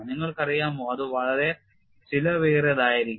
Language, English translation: Malayalam, You know that would be very expensive